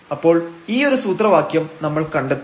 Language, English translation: Malayalam, So, we will derive this formula now